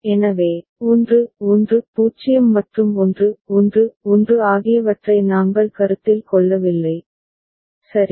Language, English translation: Tamil, So, 1 1 0 and 1 1 1 we did not consider, right